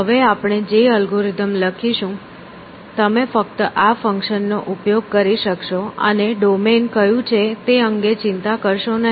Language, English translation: Gujarati, So, the algorithm that we will write now, you will just use this functions and do not worry about what the domain is essentially